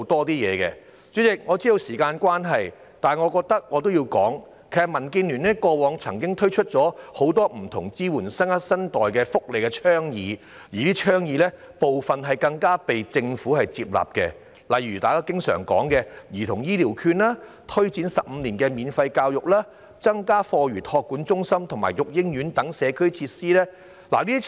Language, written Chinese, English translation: Cantonese, 主席，我知道發言時限快到，但我想指出，民建聯過往曾經提出很多支援新生代的福利倡議，部分更獲得政府接納，例如大家經常討論的兒童醫療券、推展15年免費教育，以及增加課餘託管中心和育嬰院等社區設施。, Yet I wish to point out that DAB has made a lot of welfare proposals that can give support to the new generation . Some of them have even been accepted by the Government eg . the frequently - discussed child healthcare vouchers the introduction of 15 - year free education and the addition of community facilities such as after school care programme centres and day crèches